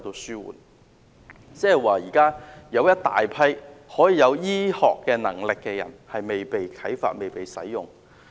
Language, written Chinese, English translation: Cantonese, 現時有一大群醫學專才卻未被啟發、未被利用。, At present we have a large group of Chinese medical professionals who are untapped unused